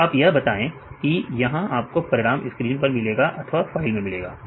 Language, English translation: Hindi, So, for any operations you can either see your results on the screen or you can write in a file